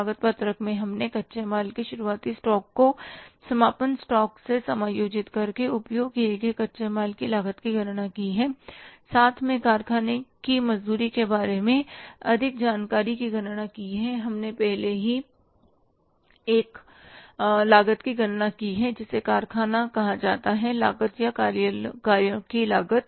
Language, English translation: Hindi, In the cost sheet we have calculated one cost by adjusting the opening stock of raw material, closing stock of raw material, calculating the cost of raw material consumed plus information about the factory wages